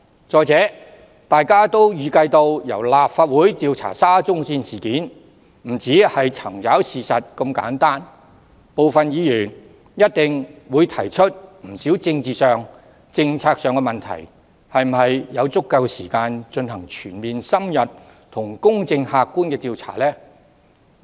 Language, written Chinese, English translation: Cantonese, 再者，大家也預計到，若由立法會調查沙中線事件，不會只是查找事實，部分議員一定會提出不少政治及政策上的問題，這樣又是否有足夠時間進行全面、深入和公正客觀的調查呢？, Furthermore as we may expect if the Legislative Council probes into the SCL incident it will not merely search for facts . Some Members will definitely raise a number of political and policy issues . As such will there be enough time to conduct a comprehensive in - depth impartial and objective inquiry?